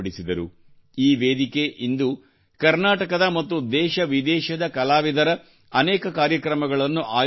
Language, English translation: Kannada, This platform, today, organizes many programs of artists from Karnataka and from India and abroad